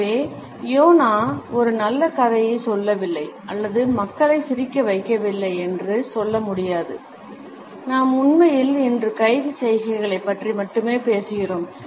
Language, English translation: Tamil, So, this is not to say that Jonah is not telling a good story or making people laugh, we are actually talking just about hand gesticulations today